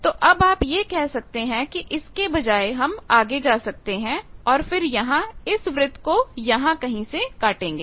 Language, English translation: Hindi, Now, you can say that instead of that I can further go on and here also I will cut this circle somewhere here